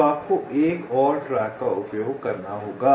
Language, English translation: Hindi, so three have to be put on the third track